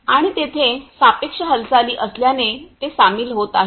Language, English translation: Marathi, And since there is a relative movement so, that the joining is taken place